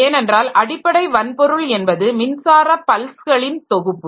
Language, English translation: Tamil, Because the underlying hardware, what it understands is nothing but a set of electrical pulses